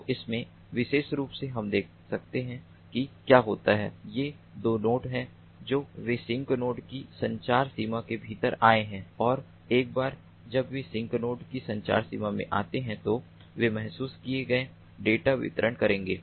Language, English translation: Hindi, so in this particular figure, as we can see, what happens is these two nodes: they have come within, thus within the communication range of the sink node and once they come into the communication range of the sink node, they would deliver the ah, the sense data